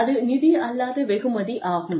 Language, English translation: Tamil, And, that is a non financial reward